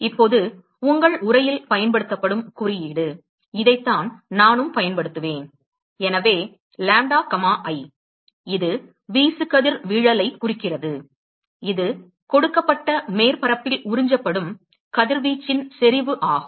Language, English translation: Tamil, Now, the symbol that is used in your text, and this is what I also will use is, so lambda comma i, that stands for irradiation, that is intensity of radiation that is absorbed by a given surface